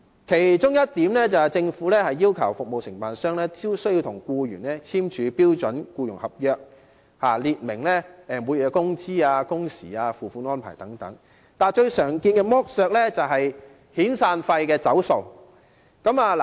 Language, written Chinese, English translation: Cantonese, 其中一點是，政府要求服務承辦商必須與僱員簽署標準僱傭合約，列明每月工資、工時及付款安排等，但最常見的剝削是遣散費"走數"。, A case in point is that the Government requires the service contractors to sign a standard employment contract with the employees setting out the monthly wages work hours payment arrangements etc but the most common exploitation is defaulting on severance payments . Every contract has its expiry date